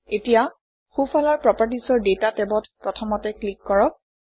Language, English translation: Assamese, Now in the properties on the right, let us click on the Data tab first